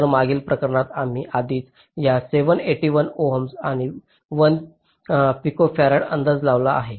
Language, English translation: Marathi, so ah, in the previous case we have already estimated this where seven, eight ohms and one picofarad